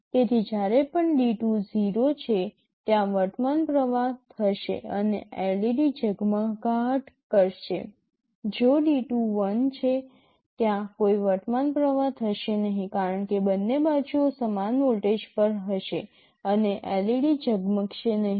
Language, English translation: Gujarati, So, whenever D2 is 0, there will be a current flowing and the LED will glow, if D2 is 1, there will be no current flowing because both sides will be at same voltage, and LED will not glow